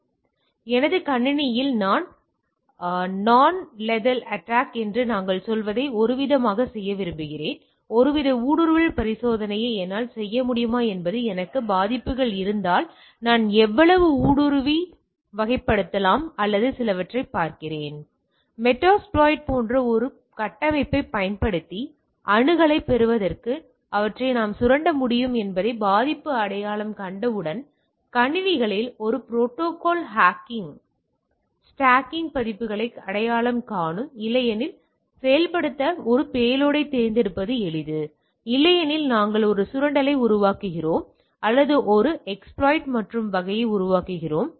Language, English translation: Tamil, So, if I have the vulnerabilities whether I can do some sort of a penetration testing like I want to do some sort of a what we say non lethal attack on my system and see that how much I can penetrate and type of things or some sort of a ethical hacking on the systems right identify the vulnerabilities once the vulnerability identify we can exploit them to gain access using a framework like metasploit is a simple as selecting a payload to execute otherwise we manufacture a exploit or we generate an exploit and type of thing